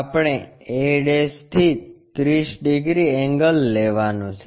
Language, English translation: Gujarati, We have to take 30 angle from a'